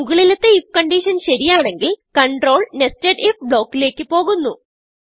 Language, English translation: Malayalam, when if condition above is true, control moves into nested if block